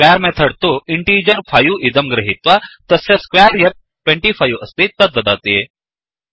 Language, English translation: Sanskrit, The square method takes an integer 5 and returns the square of the integer i.e